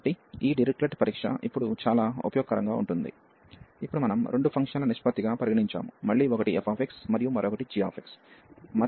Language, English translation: Telugu, So, this Dirichlet test is very useful now that we have just consider as a ratio of the two function again one was f x, and another was g x